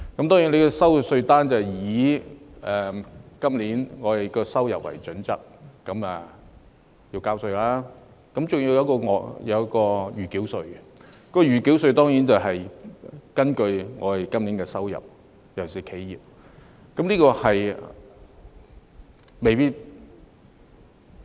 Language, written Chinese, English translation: Cantonese, 當然，收到的稅單將以今年的收入為基準計算稅款，還有一項暫繳稅；暫繳稅當然也是根據今年的收入，尤其就企業而言。, Certainly the tax amount on the received demand notes will be calculated on the basis of this years income and accompanied by a provisional tax charge which is also certainly based on this years income especially in the case of enterprises